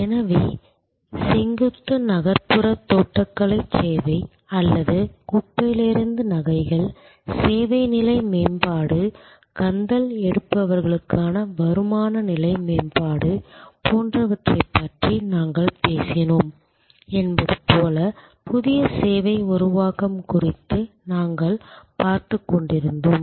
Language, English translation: Tamil, So, we were looking at new service creation, like if you recall we talked about that vertical urban gardening service or jewelry from trash, creation as a service level enhancement, income level enhancement for rag pickers